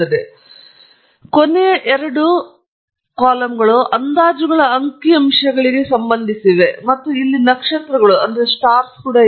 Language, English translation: Kannada, And then, the last two pertain to the statistics on these estimates and there are also stars here